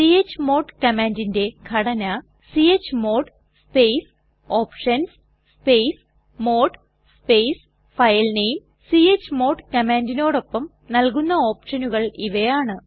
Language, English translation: Malayalam, Syntax of the chmod command is chmod space [options] space mode space filename space chmod space [options] space filename We may give the following options with chmod command